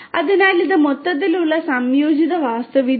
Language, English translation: Malayalam, So, this is this overall integrated architecture